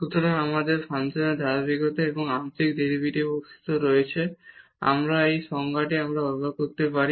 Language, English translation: Bengali, So, we have the continuity of the function and the existence of partial derivatives also we can use this definition again